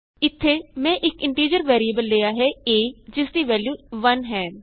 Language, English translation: Punjabi, Here, I have taken an integer variable a that holds the value 1